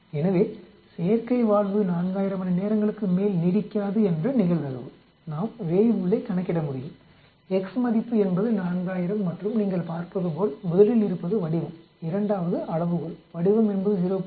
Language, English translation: Tamil, So the probability that the artificial valve will last no more than 4000 hours we can calculate Weibull, x value is 4000 and as you can see first is the shape, second is the scale, the shape is 0